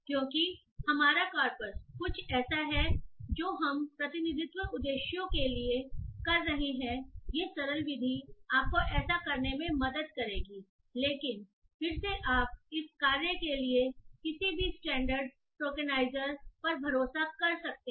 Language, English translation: Hindi, Since our corpus is something that we are doing for representational purposes, these simplistic method will help you in doing this but again you can relay on any standard tokenizers for this task